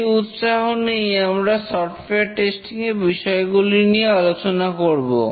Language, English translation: Bengali, With that motivation, we will discuss some issues on software testing